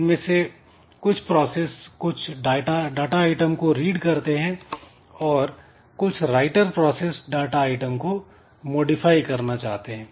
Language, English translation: Hindi, Some of the processes they just try to read some data item whereas the writer processes are there who want to modify the data item